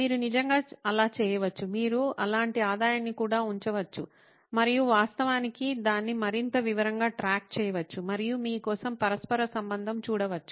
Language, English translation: Telugu, You can actually do that, you can even put a revenue something like that and actually track it much more in detail and see the correlation for yourself